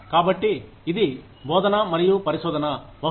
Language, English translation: Telugu, So, it was teaching and research, maybe